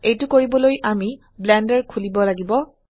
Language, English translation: Assamese, To do that we need to open Blender